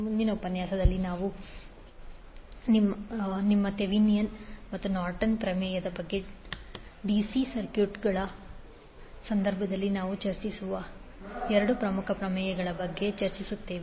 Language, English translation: Kannada, In next session, we will discuss about two more important theorems which we discuss in case of DC circuit that are your Thevenin's and Norton’s theorem